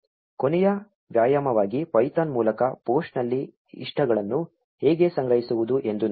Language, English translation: Kannada, As one last exercise let us see how to collect likes on a post through python